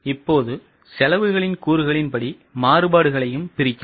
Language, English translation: Tamil, Now the variances can also be broken as per elements of cost